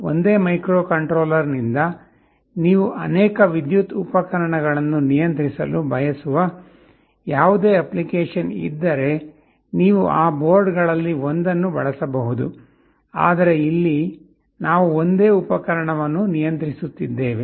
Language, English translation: Kannada, So, if you have any application where you want to control multiple electrical appliances from the same microcontroller, you can use one of those boards, but here we shall be controlling a single appliance that is why I am using a single relay module